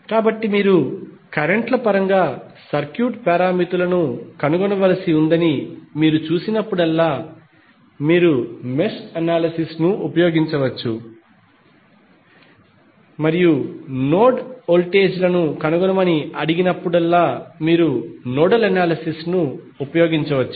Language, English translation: Telugu, So, whenever you see that you need to find out the circuit parameters in terms of currents you can use mesh analysis and when you are asked find out the node voltages you can use nodal analysis